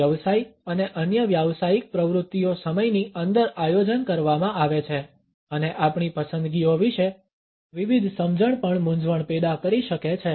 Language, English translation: Gujarati, Business and other professional activities are planned within time and diverse understandings about our preferences can also cause confusion